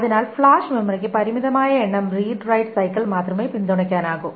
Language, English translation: Malayalam, So the flash memory can support only a limited number of read write cycles